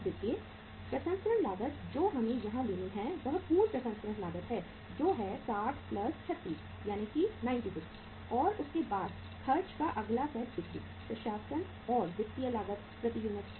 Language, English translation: Hindi, See processing cost we have to take here is that is full processing cost 60 plus 36 that is 96 and after that the next set of expense is selling, administration, and financial cost per unit